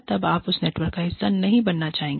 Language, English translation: Hindi, You will not want to be part of that network, anymore